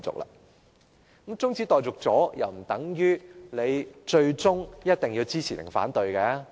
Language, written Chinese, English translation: Cantonese, 那麼，在中止待續後，亦不等於我們最終一定要支持或反對。, Moreover the adjournment of a motion debate has nothing to do with whether we will support or oppose the motion at the end of the day